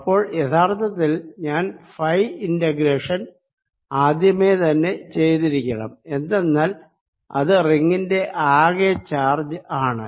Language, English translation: Malayalam, so i actually i should have carried out this phi integration already, because this indicates the total charge on the ring